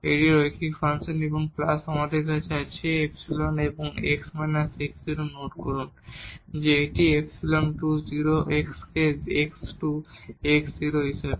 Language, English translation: Bengali, This is the linear function and plus we have epsilon and this x minus x naught note that this epsilon goes to 0 x as x goes to x naught